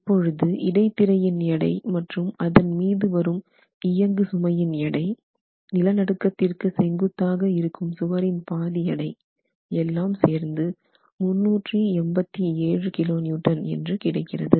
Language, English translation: Tamil, Now we have calculated the weight of the diaphragm and the superimposed weight coming onto the diaphragm and then one half of the walls perpendicular to the direction of the earthquake force and that sums up to 387 kilo Newton